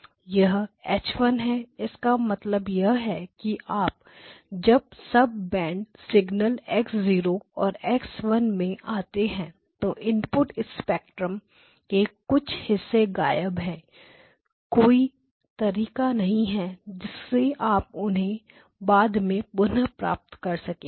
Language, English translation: Hindi, This is H1, so which means that when you come into the sub bank signals X0 and X1 some portions of the input spectrum are missing there is no way you can recover them subsequently